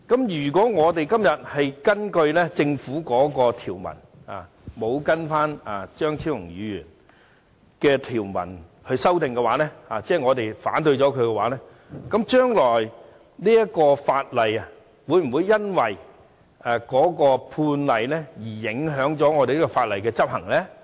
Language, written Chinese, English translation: Cantonese, 如果我們今天根據政府的條文而非按張超雄議員提出的條文進行修正，即我們反對他的修正案，那麼，日後會否因有關判例而影響這項法例的執行呢？, If amendments are made by us today based on the provisions of the Government instead of those proposed by Dr Fernando CHEUNG that is if we oppose his amendment will it affect the enforcement of this law in future due to the relevant case law?